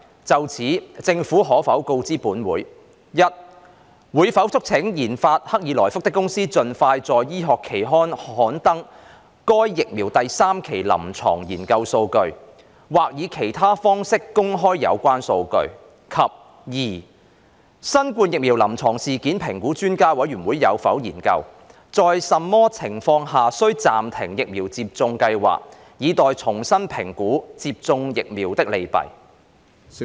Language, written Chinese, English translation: Cantonese, 就此，政府可否告知本會：一會否促請研發克爾來福的公司盡快在醫學期刊刊登該疫苗第三期臨床研究數據，或以其他方式公開有關數據；及二新冠疫苗臨床事件評估專家委員會有否研究，在甚麼情況下需暫停疫苗接種計劃，以待重新評估接種疫苗的利弊？, As a result the daily number of people receiving vaccination has shown a downward trend . In this connection will the Government inform this Council 1 whether it will urge the company which researched and developed CoronaVac to expeditiously publish the third phase clinical research data of the vaccine in medical journals or make public the relevant data by other means; and 2 whether the Expert Committee on Clinical Events Assessment Following COVID - 19 Immunisation has studied the circumstances under which the Vaccination Programme needs to be suspended pending re - assessment of the pros and cons of receiving vaccination?